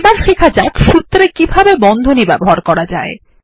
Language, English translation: Bengali, Let us now learn how to use Brackets in our formulae